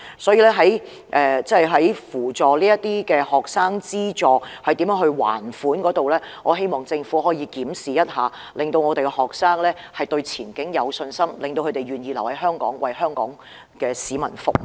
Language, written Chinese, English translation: Cantonese, 所以，我希望政府可以檢視學生償還學費貸款的方法，並扶助他們，令學生對前景有信心，並願意留在香港為香港市民服務。, Hence I hope that the Government will examine how students can repay their loans on tuition fee and provide them with assistance so that they will have confidence in their future and will be willing to stay in Hong Kong to serve Hong Kong people